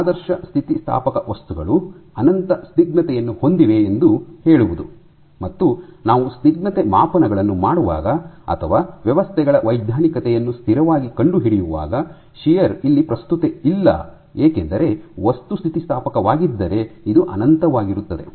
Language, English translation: Kannada, So, that is to say that ideal elastic materials have infinite viscosity, and this is the reason why when we do viscosity measurements or probe the rheology of systems under constant shear it is not of relevance because if the material is elastic this is infinite